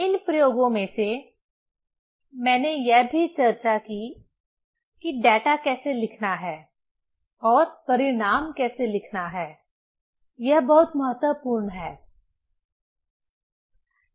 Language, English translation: Hindi, Out of these experiments, also I have discussed how to write the data and how to write the result that is very important